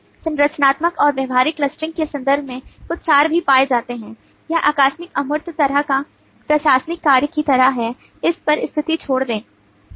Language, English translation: Hindi, certain abstractions are also found in terms of structural and behavioural clustering is incidental abstractions, kind of administrative function, leave status, so on